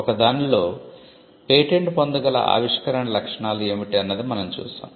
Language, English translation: Telugu, And what were the features of those inventions that were patentable